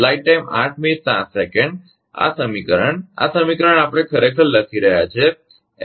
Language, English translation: Gujarati, This equation, I mean this is actually equation A